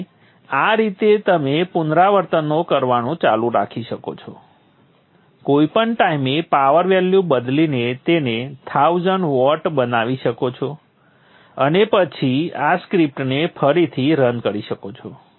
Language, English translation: Gujarati, So this way you can keep doing the iterations any number of time, change the power value, make it 1000 watts, and then read on the script